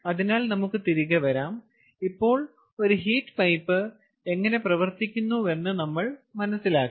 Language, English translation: Malayalam, ok, alright, so let us come back, and now that we understand how a heat pipe functions, lets see ah